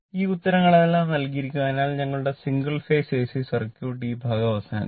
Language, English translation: Malayalam, So, with these right our single phase AC circuit at least this part is over right